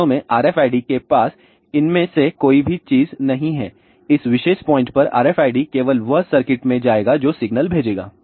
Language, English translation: Hindi, In fact, RFID would not have any of these thing RFID at this particular point only it will go to the circuit which will send the signal